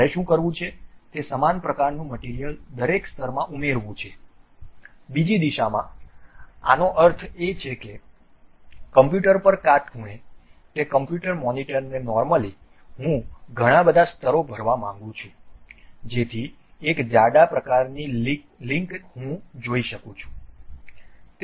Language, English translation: Gujarati, What I want to do is add material the similar kind of material like layer by layer in the other direction; that means, perpendicular to the computer normal to that computer monitor, I would like to fill many layers, so that a thick kind of link I would like to see